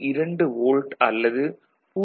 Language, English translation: Tamil, 2 volt or 0